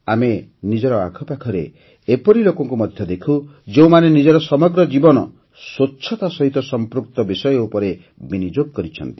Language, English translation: Odia, We also see people around us who have devoted their entire lives to issues related to cleanliness